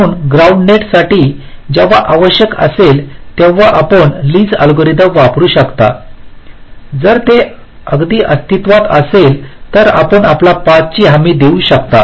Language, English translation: Marathi, so for the ground net, when required you can use the lees algorithm that you will guarantee you a path, if it exist at all